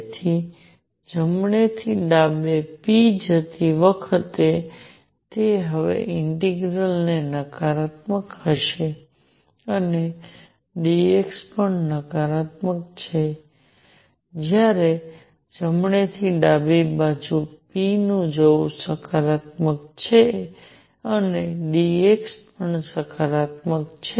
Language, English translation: Gujarati, So, that will be the integral now while going from right to left p is negative and d x is also negative while going from right to left p is positive and dx is also positive